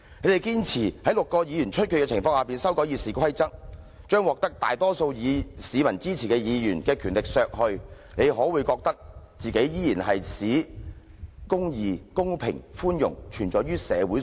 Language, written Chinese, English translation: Cantonese, 你們堅持在6個議席出缺的情況下修改《議事規則》，將獲得大多數市民支持的議員的權力削去，你們可會覺得自己依然正在"使公義、公平及寬容存在於社會上"？, Pro - establishment Members insist on amending RoP at a time when the Legislative Council has six vacant seats with the intent of reducing the rights of Members supported by the majority public do they think that they will enable the quality of justice fairness and mercy to exist in society?